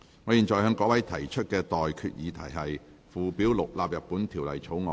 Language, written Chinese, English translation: Cantonese, 我現在向各位提出的待決議題是：附表6納入本條例草案。, I now put the question to you and that is That Schedule 6 stands part of the Bill